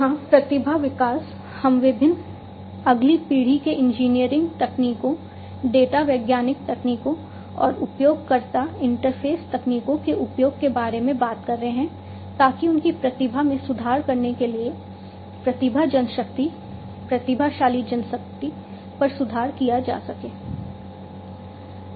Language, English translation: Hindi, Talent development here we are talking about the use of different next generation engineering techniques, data scientific techniques, and user interface techniques to improve upon the talent man manpower, talented manpower, to improve upon their the improve their talent, and so on